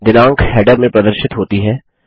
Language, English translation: Hindi, The date is displayed in the header